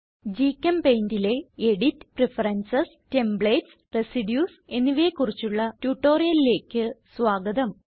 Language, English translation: Malayalam, Welcome to the tutorial on Edit Preferences, Templates and Residues in GChemPaint